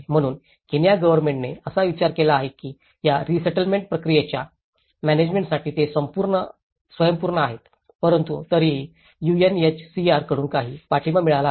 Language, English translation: Marathi, So, Kenyan Government have thought that they are self sufficient to manage this resettlement process but still there has been some support from the UNHCR